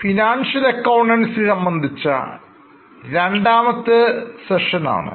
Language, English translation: Malayalam, This is our second session on financial accounting